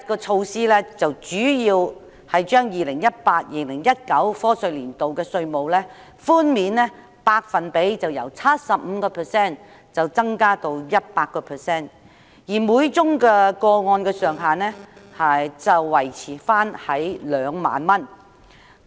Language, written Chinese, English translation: Cantonese, 措施主要提出把 2018-2019 課稅年度的稅務寬免百分比由 75% 增加至 100%， 每宗個案的上限維持在2萬元。, The measures mainly seek to increase the tax reduction for the year of assessment 2018 - 2019 from 75 % to 100 % while retaining the ceiling of 20,000 per case